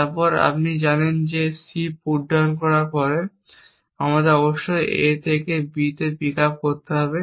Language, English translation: Bengali, Then we know that after putdown C we must have pick up B from A